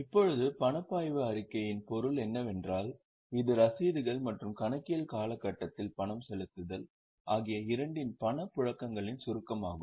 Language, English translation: Tamil, Now, the meaning of cash flow statement is it is a summary of cash flows both receipts as well as payments during an accounting period